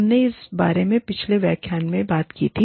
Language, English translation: Hindi, We talked about this, in the previous lecture